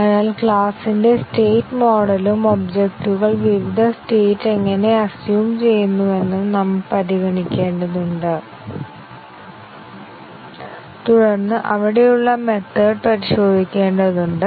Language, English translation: Malayalam, So, we need to consider the state model of the class and how the objects assume different states and then we need to test the methods there